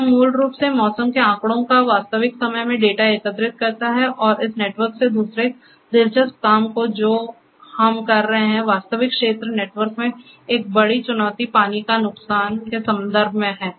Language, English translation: Hindi, This also basically collects the data and transports in the real time the weather data and from this network the other interesting work which we are doing is because one of the major challenges in the real field network is in terms of water losses